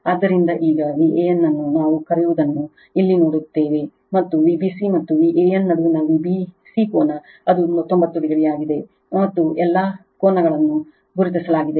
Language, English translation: Kannada, So, now, that V a n see here what we call and V b c angle between V b c and V a n, it is 90 degree right and all angles are marked right